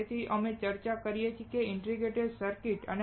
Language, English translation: Gujarati, So, we discussed why integrated circuits